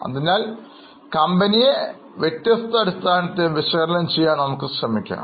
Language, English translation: Malayalam, So, we will try to analyze the company on different basis